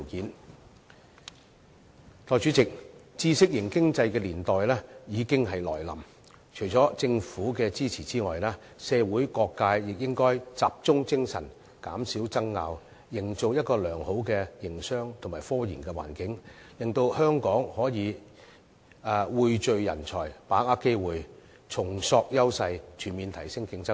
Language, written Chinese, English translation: Cantonese, 代理主席，知識型經濟的年代已經來臨，除了政府支持之外，社會各界亦應該集中精力，減少爭拗，營造一個良好的營商及科研環境，令香港可以匯聚人才、把握機會、重塑優勢，全面提升競爭力。, Deputy President the era of a knowledge - based economy has arrived . Apart from government support various sectors of the community should concentrate their energy and reduce arguments with a view to creating a favourable environment for business and scientific research so that Hong Kong can pool talents seize opportunities rebuild our strengths and upgrade our competitiveness on all fronts